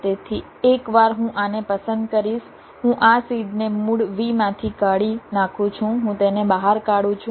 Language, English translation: Gujarati, so once i select this one, i remove this seed from the original v